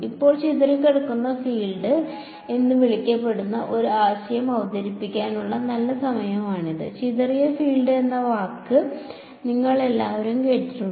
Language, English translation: Malayalam, Now, this is a good time to introduce one concept there is quantity called as the scatter field you all heard this word scattered field